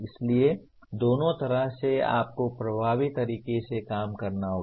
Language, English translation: Hindi, So both ways you have to work effectively